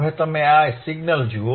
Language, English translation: Gujarati, Now you see this signal